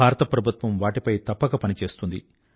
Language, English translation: Telugu, The Government of India will work on that